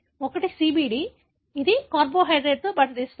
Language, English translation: Telugu, One is the CBD, which binds to the carbohydrate